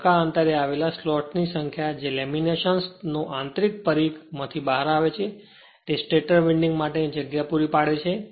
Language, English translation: Gujarati, So, a number of evenly spaced lots punch out of the your what you call internal circumference of the lamination provide the space of the for the stator winding